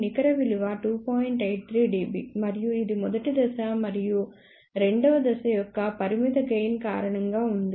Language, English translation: Telugu, 83 dB and that is mainly because of the finite gain of the first stage and second stage